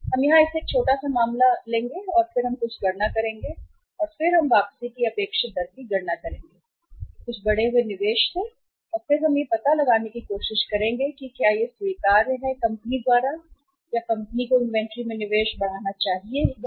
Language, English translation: Hindi, We will do it here a small case and then we will make some calculations and then we will calculate the expected rate of return from some increased investment and then we will try to find out whether that is acceptable to the company or not or whether the company should increase the investment in the inventory or not